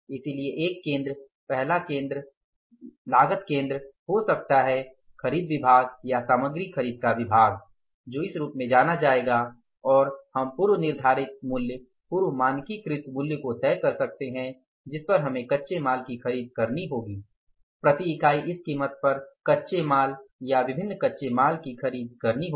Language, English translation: Hindi, So there can be one center, cost center, first cost center which will be known as the purchase department or the procurement of material department and we can fix up the pre decided price, pre standardized price that we will have to purchase the raw material per unit of the raw material or different raw materials at this price